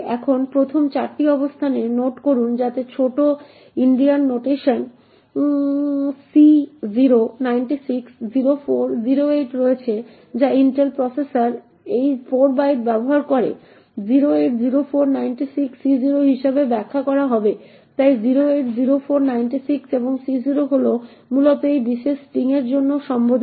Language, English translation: Bengali, Now note the first 4 locations, so that contains of C0, 96, 04, 08 in little Indian notation which Intel processor use these 4 bytes would be interpreted as 08, 04, 96, C0, so 08, 04, 96 and C0 is essentially addressed for this particular string